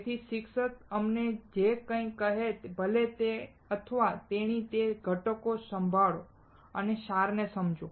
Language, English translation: Gujarati, So, whatever the teacher tell us, whoever he or she is, listen those ingredients, and understand the essence